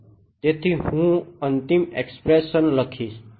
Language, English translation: Gujarati, So, I will write down the final expression